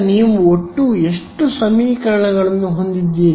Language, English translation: Kannada, How many equations you have a in total with me now